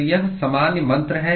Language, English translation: Hindi, So, this is the general mantra